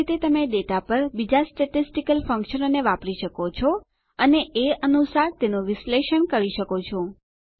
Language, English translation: Gujarati, Similarly, you can use other statistical functions on data and analyze them accordingly